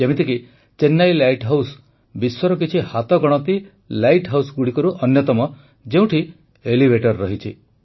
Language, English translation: Odia, For example, Chennai light house is one of those select light houses of the world which have elevators